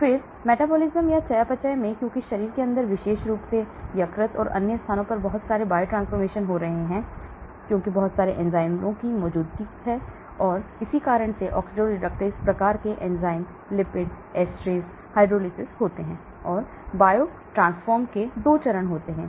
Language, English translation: Hindi, Then came metabolism because there is lot of biotransformation taking place inside the body especially in the liver and other places because of presence of a lot of enzymes oxidoreductase type of enzymes lipases, esterases, hydrolysis and there are 2 stages of biotransformation